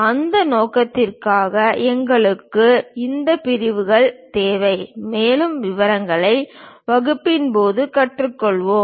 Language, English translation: Tamil, For that purpose, we require these sections; more details we will learn during the class